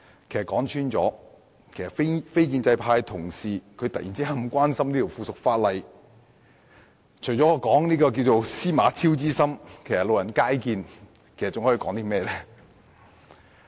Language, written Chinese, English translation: Cantonese, 其實，說穿了，非建制派同事突然如此關心這項附屬法例，除了說是"司馬昭之心，路人皆見"外，我還可以說甚麼？, In fact to put it plainly what else can I say except the non - establishment colleagues have harboured such an obvious intent to suddenly become so concerned about this piece of subsidiary legislation?